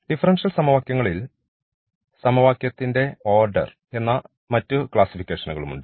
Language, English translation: Malayalam, So, there are other classifications here which we call the order what is the order of the differential equation